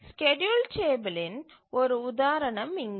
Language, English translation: Tamil, So, here is an example of a schedule table